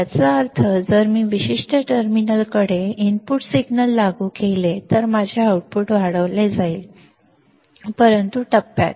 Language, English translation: Marathi, That means, if I apply an input signal at this particular terminal right my output will be amplified, but in phase right